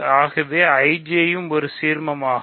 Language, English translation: Tamil, So, IJ is an ideal